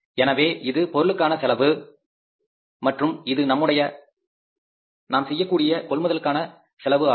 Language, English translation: Tamil, So, we have to assume that this is a cost of material and this is a cost of in a way purchases which we are going to make